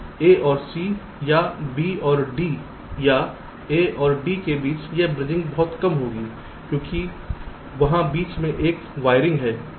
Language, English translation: Hindi, at the chance of a and c, or b and d or a or d having a bridging will be much less because there is a wiring between